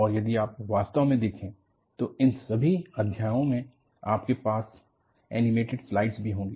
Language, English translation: Hindi, And, if you really look at, for all of these chapters, you will have support of animated slides